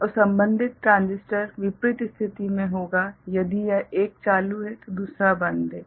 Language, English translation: Hindi, And the corresponding transistor will be in the opposite state if one is ON another will be OFF